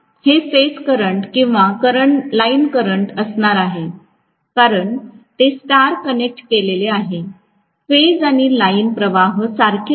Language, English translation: Marathi, This is going to be the phase current or line current because it star connected, phase and line currents are the same, does not matter